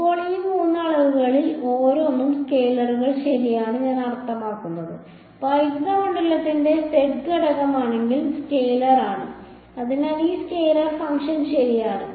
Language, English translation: Malayalam, Now, each of these three quantities I mean they are scalars right E z is the scalar if the z component of the electric field, so this is the scalar function right